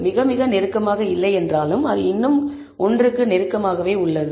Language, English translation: Tamil, Though not very close, but it is still closer to 1